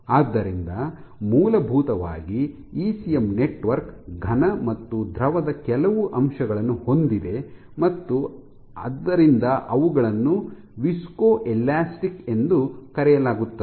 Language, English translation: Kannada, So, in essential ECM network has some aspect of solid and some aspect of fluid and they are hence called, so, ECM networks are generally viscoelastic